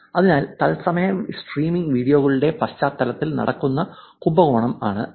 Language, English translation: Malayalam, So, that is the kind of scam that is going on in the context of live streaming videos